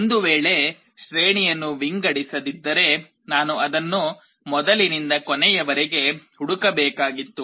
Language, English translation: Kannada, Well if the if the array was not sorted, then I would have to search it from the beginning to the end